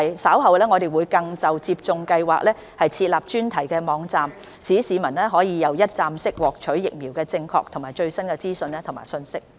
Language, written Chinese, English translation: Cantonese, 稍後我們更會就接種計劃設立專題網站，讓市民可以一站式獲取關於疫苗的正確和最新資料和信息。, We will later set up a thematic website for the vaccination programme so that members of the public can have one - stop access to correct and the most up - to - date information on vaccines